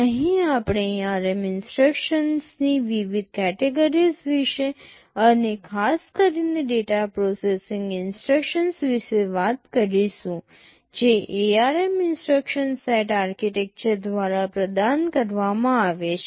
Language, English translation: Gujarati, Here we shall be broadly talking about the various categories of ARM instructions and in particular the data processing instructions that are provided by the ARM instruction set architecture